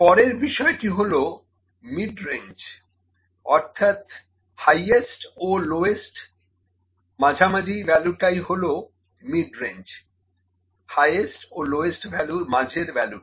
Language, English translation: Bengali, Next is midrange, midrange is the midway between the highest and lowest value, mid way between the highest and lowest values